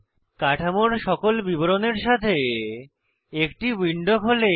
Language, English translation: Bengali, A window opens with all the details of the structure